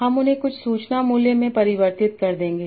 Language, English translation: Hindi, I will convert them in some information value